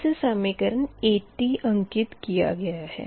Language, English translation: Hindi, this is equation eighty